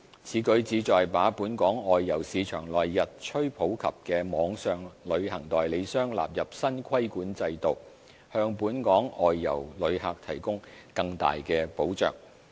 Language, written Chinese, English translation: Cantonese, 此舉旨在把本港外遊市場內日趨普及的網上旅行代理商納入新規管制度，向本港外遊旅客提供更大保障。, This is to make online travel agents which have become increasingly popular in Hong Kongs outbound tourism market also come under the new regulatory regime so as to afford greater protection to the outbound travellers of Hong Kong